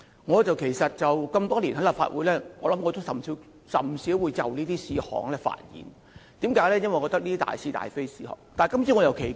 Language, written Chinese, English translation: Cantonese, 我加入立法會多年，甚少就這些事項發言，因為我覺得這些是大是大非的事，但今次卻很奇怪。, Being a Member of the Legislative Council for many years I seldom speak on such matters as I think they are related to the fundamental question of right and wrong . Yet something odd has happened this time